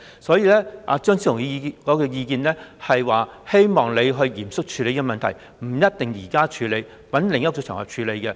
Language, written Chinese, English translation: Cantonese, 所以，張超雄議員的意見是，希望你嚴肅處理這問題，不一定現在處理，在另一個場合處理也可。, So hoping that you take this issue seriously Dr Fernando CHEUNG expressed the view that it can also be handled on another occasion not necessarily now